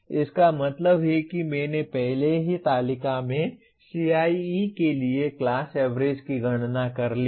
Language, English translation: Hindi, That means I have already computed the class average for CIE in the previous table